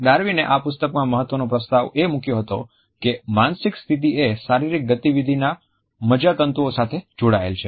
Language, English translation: Gujarati, The crucial argument which Darwin had proposed in this book was that the mental states are connected to the neurological organization of physical movement